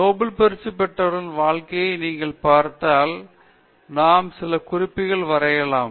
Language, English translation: Tamil, If you look at the lives of Nobel Laureates can we draw some inferences